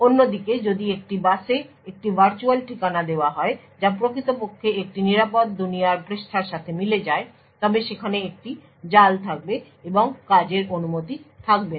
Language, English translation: Bengali, On the other hand if a virtual address is put out on a bus which actually corresponds to a secure world page then there would be a trap and the operation would not be permitted